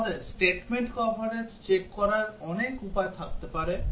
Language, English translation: Bengali, We can have many ways to check statement coverage